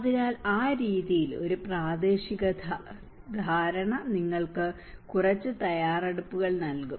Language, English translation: Malayalam, So, in that way a regional level understanding will give you some preparation